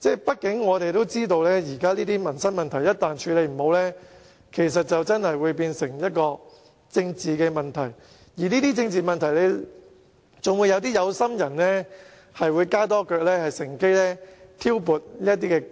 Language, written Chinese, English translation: Cantonese, 畢竟，大家也知道，現時這些民生問題如果無法妥善處理，便會變成政治問題，還會被一些"有心人"乘機挑撥離間。, After all as we all know if these livelihood issues cannot be addressed properly they will turn into political issues . Worse still some people with ulterior motives might seize the opportunity to sow discord